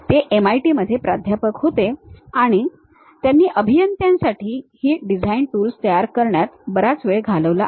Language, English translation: Marathi, He was a professor at MIT, and he has spent lot of time in terms of constructing these design tools for engineers